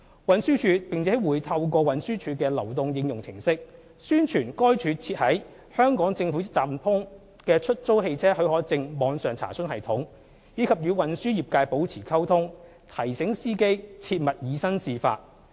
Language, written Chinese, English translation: Cantonese, 運輸署並會透過運輸署的流動應用程式，宣傳該署設於"香港政府一站通"的出租汽車許可證網上查詢系統，以及與運輸業界保持溝通，提醒司機切勿以身試法。, TD will keep up with its efforts to promote the online enquiry system for HCP on the GovHK website through the TDs mobile applications and continue to communicate with the transport trades so as to remind drivers of the need to abide by the law